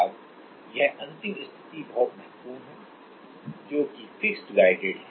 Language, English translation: Hindi, Now, this is very important the last case that is fixed guided